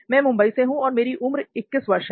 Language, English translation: Hindi, I am from Mumbai and I am 21 years old